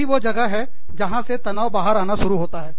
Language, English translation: Hindi, That is where, the stress starts coming about